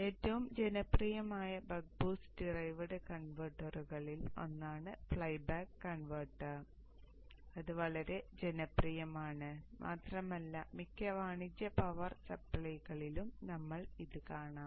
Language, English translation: Malayalam, One of the most popular Buck Boost derived converter is the flyback converter which is very very popular and you will see it in most of the commercial power supplies